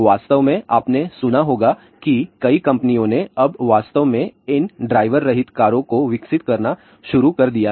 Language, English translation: Hindi, In fact, ah you might have heard about that ah many companies have now started actually developing these ah driverless cars